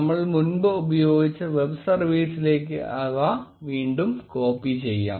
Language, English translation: Malayalam, Let us copy that again into the web service, which we earlier used